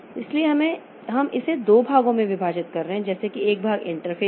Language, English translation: Hindi, So, we are dividing it into two parts like one part is the interface